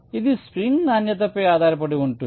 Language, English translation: Telugu, so this depends on the quality of the spring